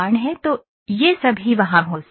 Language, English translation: Hindi, So, these all can be there